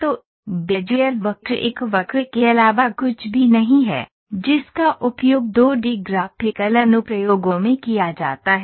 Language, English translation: Hindi, So, Bezier curve is nothing but a curve, that uses uses that is used in 2 D graphical applications ok